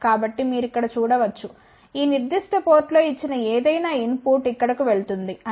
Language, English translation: Telugu, So, that you can see over here any input given at this particular port will go over here that means, S 1 3 is equal to 0